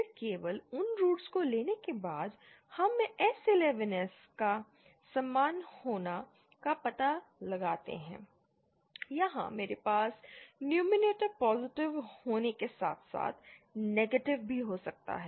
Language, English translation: Hindi, Then after taking only those roots, we find out S11 S to be equal toÉ Here I can have the numerator to be positive as well as negative